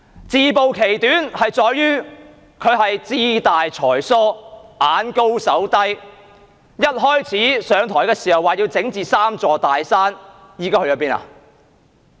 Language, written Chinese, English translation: Cantonese, 自暴其短，問題在於她志大才疏、眼高手低，在上台初期，說要整治"三座大山"，現在去了哪裏？, She revealed her own shortcomings because she has high aspirations but low ability and she aimed high but shot low . When she initially took office she said she wanted to overcome the three big mountains but where is this pledge now?